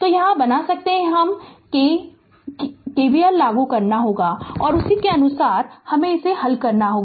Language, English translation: Hindi, So, you can make it ah that k we have to apply KVL and accordingly we have to solve it